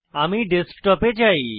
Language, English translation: Bengali, I want it on Desktop